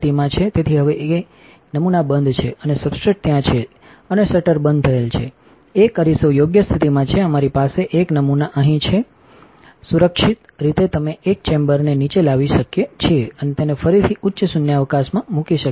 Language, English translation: Gujarati, So, now, that the sample is closed and the substrate is there and the shutter is closed a mirror is in the right position we have a sample up here mounted securely we can bring a chamber down and put it to back into high vacuum